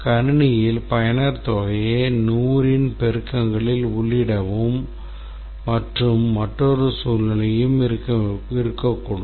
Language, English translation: Tamil, There can be another scenario that the user entered some amount and the system responded that please enter in multiples of 100